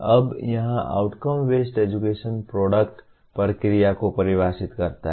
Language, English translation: Hindi, Now here in outcome based education product defines the process